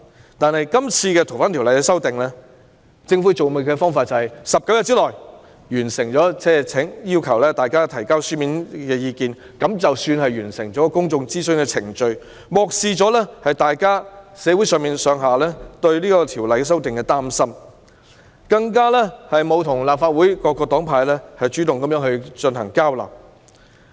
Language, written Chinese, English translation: Cantonese, 然而，政府今次處理《逃犯條例》修訂的方式是要求大家在19天內提交書面意見，就當作完成公眾諮詢的程序，漠視社會上對修訂《逃犯條例》的擔心，更沒有主動與立法會各黨派進行交流。, However in handling this amendment exercise of FOO the Government simply requested us to submit views in writing in 19 days and then considered itself as having completed the public consultation process ignoring public concerns about the amendments to FOO . Neither did it take the initiative to conduct exchanges with the political parties and groupings in the Legislative Council